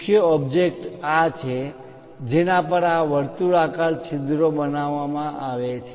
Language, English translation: Gujarati, The main object is this on which these circular holes are created